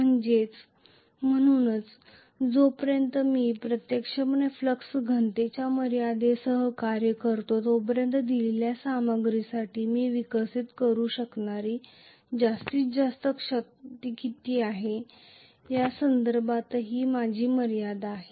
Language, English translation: Marathi, So, as long as I actually operate with the limitation on the flux density I also have a limitation in terms of what is the maximum force I will be able to develop for a given material